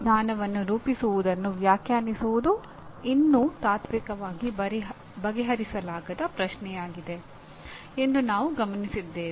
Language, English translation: Kannada, We noted that defining what constitutes knowledge is still a unsettled question philosophically